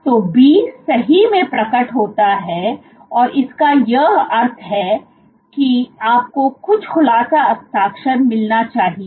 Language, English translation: Hindi, So, B does indeed, does unfold which means that you should get some unfolding signature